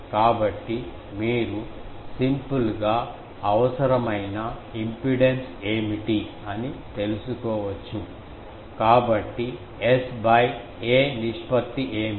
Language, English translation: Telugu, So, you can simply find out that if you what is the required impedance, so what is the S by ‘a’ ratio